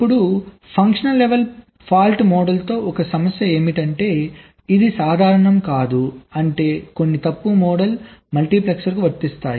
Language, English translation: Telugu, now one problem with the functional level fault model is that it is not general means some fault model that can be applied to a multipexer